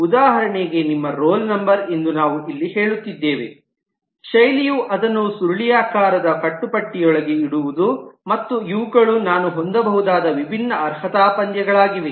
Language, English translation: Kannada, For example, here we are saying that your roll number is the style is to put it within curly brace, and these are the different qualifiers that I could have